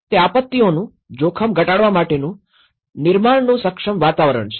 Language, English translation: Gujarati, It is a creating and enabling environment for reducing disasters risk